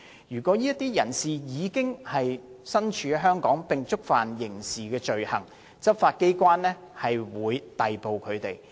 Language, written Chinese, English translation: Cantonese, 如果這些人士已身處香港並觸犯刑事罪行，執法機構會逮捕他們。, Suspected persons who are physically in Hong Kong and have committed criminal offences will be apprehended by law enforcement agencies